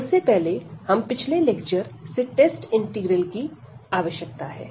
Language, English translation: Hindi, So, before that we also need these test integrals again from the previous lecture